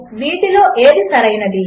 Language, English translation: Telugu, Which among this is correct